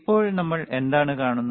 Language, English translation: Malayalam, Now, what we see